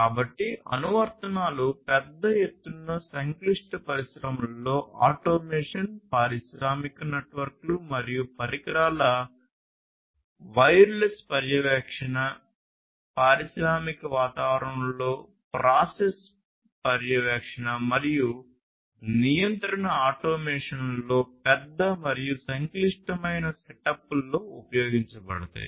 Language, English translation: Telugu, So, applications are automation in large scale complex industries, wireless monitoring of industrial networks and devices, process monitoring and control automation in the industrial environments with large and complex setups, and so on